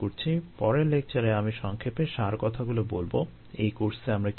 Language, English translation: Bengali, in the next lecture let me summarize in brief it will be brief lecture what all we did in the course